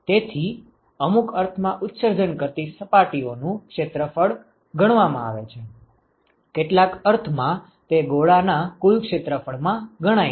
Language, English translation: Gujarati, So, it is accounted in some sense the area of the emitting surfaces, so in some sense accounted in the total area of the sphere